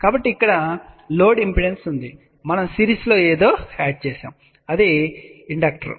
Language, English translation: Telugu, So, here is the load impedance, we added something in series which is inductor